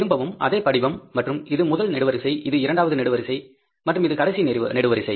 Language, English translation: Tamil, Again, the same format for the cost sheet and this is one column, this is the second column and this is the final column